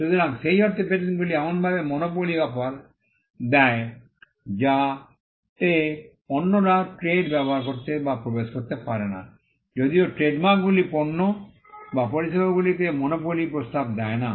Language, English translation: Bengali, So, patents in that sense offer a monopoly in such a way that, others cannot use or enter the trade whereas, trademarks do not offer a monopoly on the goods or services rather it only gives an exclusivity in using a particular name